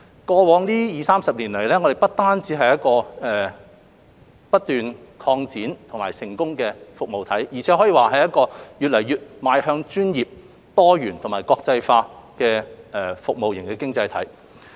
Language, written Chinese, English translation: Cantonese, 過去二三十年，我們不單是一個不斷擴展並成功的服務體，而且可以說是一個越來越邁向專業、多元及國際化的服務型經濟體。, Over the past two or three decades our service economy has not only kept expanding and making success but also become more and more professional pluralistic and internationalized